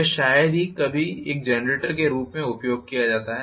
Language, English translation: Hindi, This is hardly ever used as a generator